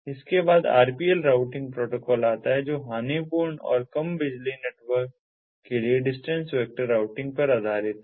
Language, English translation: Hindi, next comes the rpl routing protocol, which is based on the distance vector routing for lossy and low power networks